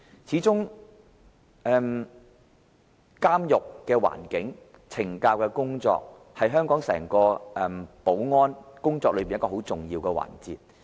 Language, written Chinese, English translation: Cantonese, 始終，監獄的環境和懲教工作，是香港整個保安工作中很重要的環節。, At the end of the day prison condition and correctional services are vital aspects of the overall security work in Hong Kong